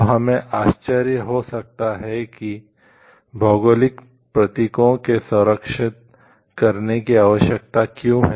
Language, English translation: Hindi, Now, we may think like why geographical indications need to be protected